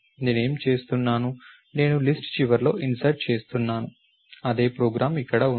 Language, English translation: Telugu, What am I doing, I am inserting I into the end of the list, same program over here